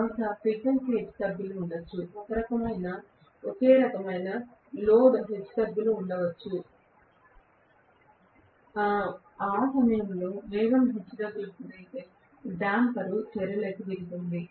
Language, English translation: Telugu, Maybe there is a frequency fluctuation, maybe there is some kind of load fluctuation, if the speed fluctuates at that point damper jumps into action